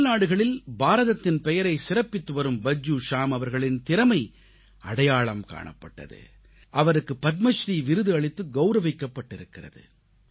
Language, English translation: Tamil, The talent of Bhajju Shyam ji, who made India proud in many nations abroad, was also recognized and he was awarded the Padma Shri